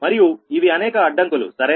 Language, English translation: Telugu, these are the several constraints